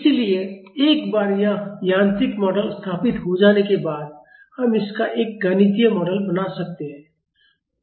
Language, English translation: Hindi, So, once this mechanical model is set up we can make a mathematical model of this